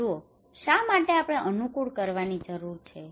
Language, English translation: Gujarati, See, why do we need to adapt